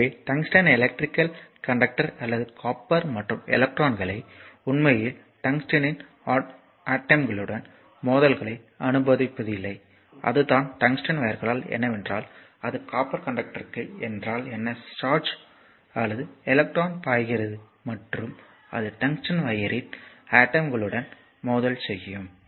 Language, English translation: Tamil, So, tungsten is not as will be as your electrical conductor or as copper and electrons actually experience collisions with the atoms of the tungsten right and that is the tungsten wires, because that if that is to the copper conductor that your what you call charge or electron is flowing and it will make a your what you call collision with the atoms of the tungsten wire